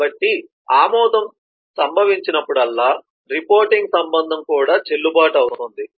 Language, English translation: Telugu, so between whenever an approval has to happen, then that reporting relationship will also have to be valid